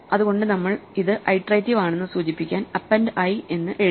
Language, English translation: Malayalam, So, we call it append i just to indicate that it is iterative